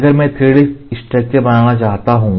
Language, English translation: Hindi, If I want to make a 3D structure